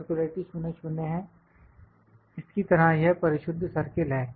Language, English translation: Hindi, Circularity is 00 like this perfect circle